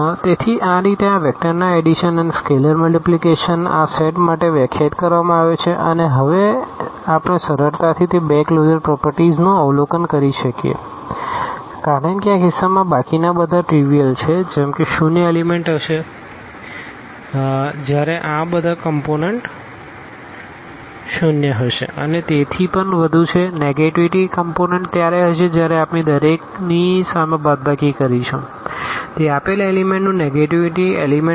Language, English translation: Gujarati, So, this is how these vector addition and the scalar multiplication is defined for this set and what we can easily now observe those two closure properties at least because all others are trivial in this case again like for instance the zero element will be when all these components are zero and so on, the negative elements will be when we put the minus sign in front of each so, that will be the negative element of a given element